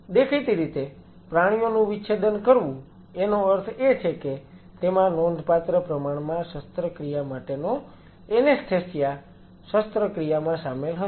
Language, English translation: Gujarati, So, where you have to dissect animals; obviously, dissecting animals essentially means that there will be significant amount of surgery anesthesia surgery involved